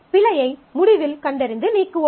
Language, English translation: Tamil, So, at the end of the fault detect and delete